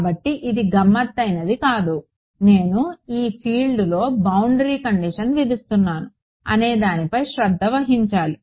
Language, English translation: Telugu, So, it is not tricky just taking care of on which field I am imposing the boundary condition itself